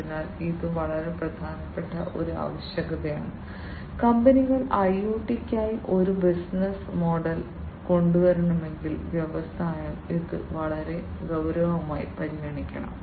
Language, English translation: Malayalam, So, this is a very important requirement, if we have to come up with a business model for IoT the companies should, the industry should consider this very seriously